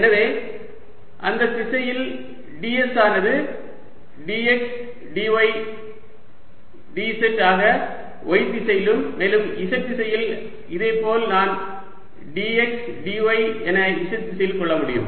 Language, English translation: Tamil, s is going to be d x, d z in the y direction and in the z direction, similarly, i can have this as d x, d y in the z direction